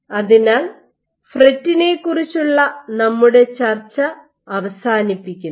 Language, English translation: Malayalam, So, this concludes our discussion of FRET